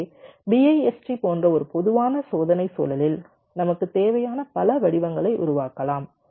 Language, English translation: Tamil, so in a typical test environment like bist we can generate as many patterns we required sim